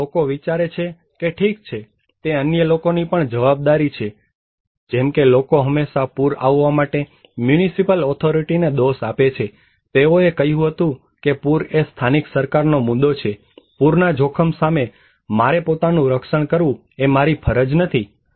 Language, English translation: Gujarati, Or maybe people think that okay, it is also the responsibility of others like, people often blame the municipal authority for getting flood, they said that flood is an the issue of the local government, it is not my duty to protect myself against flood risk